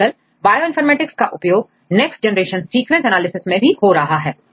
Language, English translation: Hindi, And currently if you see the Bioinformatics is widely applied in next generation sequence analysis